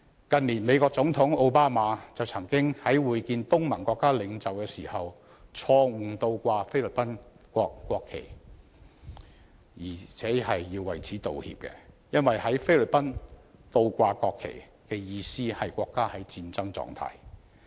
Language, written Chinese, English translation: Cantonese, 近年，美國總統奧巴馬曾在會見東盟國家領袖時因錯誤倒掛菲律賓國旗而要為此致歉，因為在菲律賓，倒掛國旗的意思是國家處於戰爭狀態。, In recent years Barrack OBAMA President of the United States once had to apologize for wrongfully inverting the national flag of the Philippines when meeting leaders of the Association of Southeast Asian Nations because in the Philippines an inverted flag signals a state at war